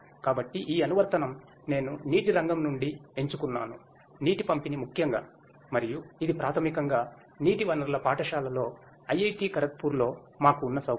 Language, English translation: Telugu, So, this application I have chosen from the water sector; water distribution particularly and this is basically a facility that we have in IIT Kharagpur in the school of water resources